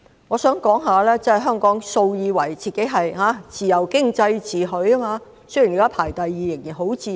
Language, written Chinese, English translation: Cantonese, 我想指出，香港素來以自由經濟自詡，雖然現時排名第二，仍然十分自由。, I wish to point out that Hong Kong has long prided itself on its free economy . Although it is now ranked second in this respect the economy is still very free